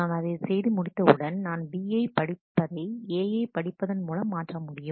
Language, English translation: Tamil, Once I have done that, then I can swap read B with read A